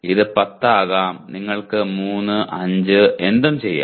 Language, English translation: Malayalam, It can be 10, it can be 3, 5 anything that you can do